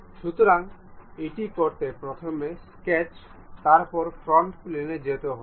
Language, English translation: Bengali, So, to do that, the first one is go to sketch, frontal plane